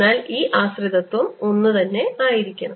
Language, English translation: Malayalam, so this dependence has to be the same